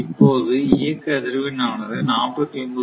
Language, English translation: Tamil, Now operating frequency is 49